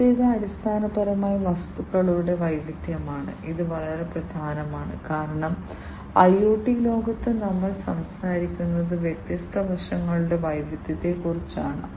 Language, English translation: Malayalam, The first one is basically the diversity of the objects, and this is very key because in the IoT world what we are talking about is diversity of different aspects